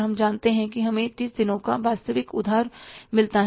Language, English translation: Hindi, We know it that we get a virtual credit of 30 days